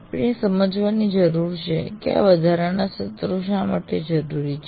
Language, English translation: Gujarati, So we need to understand why these additional sessions are required